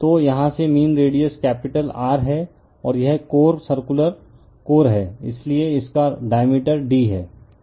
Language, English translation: Hindi, So, from here to your mean radius is capital R right, and this is the core circular core, so it is diameter is d right